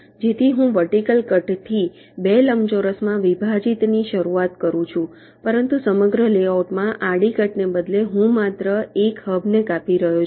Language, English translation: Gujarati, so i start with a vertical cut dividing up into two rectangles, but instead of a horizontal cut across the layout, i am cutting only one of the hubs